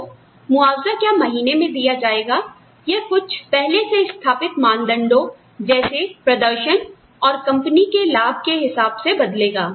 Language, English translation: Hindi, So, will the compensation be paid monthly, or, will it be, will it fluctuate on things, pre established criteria such as, performance and company profits